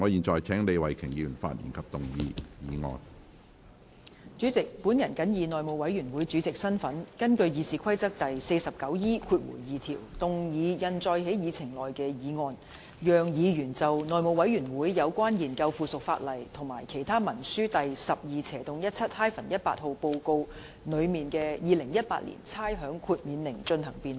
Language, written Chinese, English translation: Cantonese, 主席，我謹以內務委員會主席的身份，根據《議事規則》第 49E2 條動議通過印載於議程內的議案，讓議員就內務委員會有關研究附屬法例及其他文書第 12/17-18 號報告內的《2018年差餉令》進行辯論。, President in my capacity as Chairman of the House Committee I move the motion as printed on the Agenda in accordance with Rule 49E2 of the Rules of Procedure be passed so that Members can debate the Rating Exemption Order 2018 as set out in Report No . 1217 - 18 of the House Committee on Consideration of Subsidiary Legislation and Other Instruments